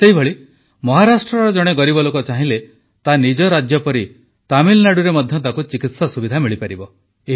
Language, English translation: Odia, Similarly, if a deprived person from Maharashtra is in need of medical treatment then he would get the same treatment facility in Tamil Nadu